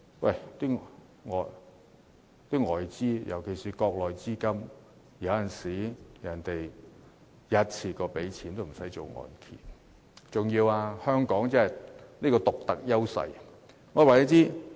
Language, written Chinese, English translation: Cantonese, 然而，外資尤其是國內資金有時候會一次過付清樓價，根本無須承造按揭。, However external investors especially Mainland investors sometimes will simply pay the property prices one - off without any need to take out a mortgage